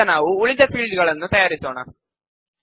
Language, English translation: Kannada, Let us create the rest of the fields now